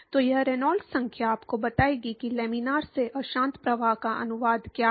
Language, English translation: Hindi, So, this Reynolds number will tell you what is the translation from laminar to turbulent flow